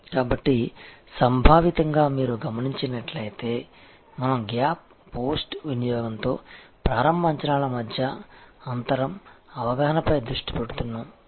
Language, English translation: Telugu, So, conceptually you will see, we are focusing on gap, the gap between initial expectations with post consumption, perception